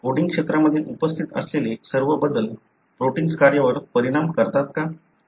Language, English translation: Marathi, Is it that all the changes that are present in the coding regions affect the protein function